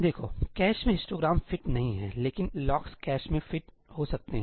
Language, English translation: Hindi, Look, the histogram does not fit in the cache, but the locks may fit in the cache